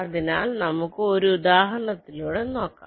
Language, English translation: Malayalam, lets take an example like this